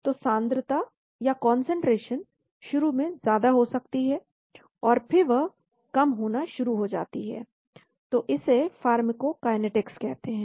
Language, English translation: Hindi, So the concentration may go up initially, and then they start coming down so that is called pharmacokinetics